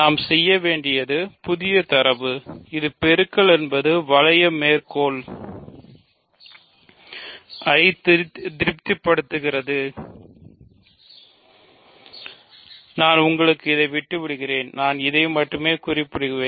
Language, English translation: Tamil, All we need to do is the new data which is multiplication satisfies the ring axioms, which I will leave for you for example, what is the, I will only mention this